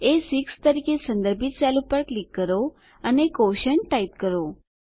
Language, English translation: Gujarati, Click on the cell referenced A6 and type QUOTIENT